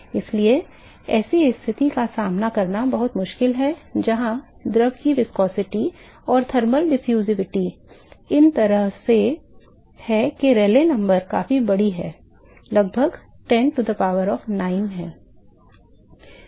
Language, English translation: Hindi, So, it is very difficult to encounter a situation where the fluid’s viscosity and the thermal diffusivity is in such a way that the Rayleigh number is significantly large is about 10 power 9